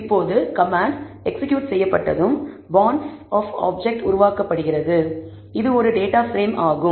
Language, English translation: Tamil, Now, once the command is executed, an object of bonds is created, which is a data frame